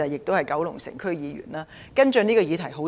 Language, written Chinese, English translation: Cantonese, 我是九龍城區議員，多年來跟進這項議題。, As a member of the Kowloon City District Council I have been following up on this issue for many years